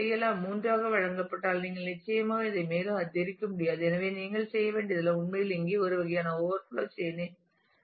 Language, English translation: Tamil, If that is given to be 3 you certainly cannot increase it further; so, all that you will have to do is actually do a kind of an overflow chain here as well